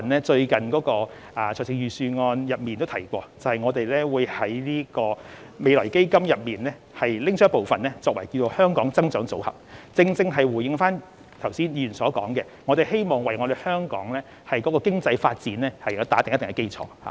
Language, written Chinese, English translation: Cantonese, 最近在預算案中亦已提及，政府會提取未來基金部分款項成立"香港增長組合"，這正可回應議員剛才所說，為促進香港經濟發展打好一定的基礎。, As mentioned recently in the Budget the Government will use part of the financial resources from FF to set up the Hong Kong Growth Portfolio and this can address the aspirations expressed by the Member just now by laying a solid foundation for promoting the economic development of Hong Kong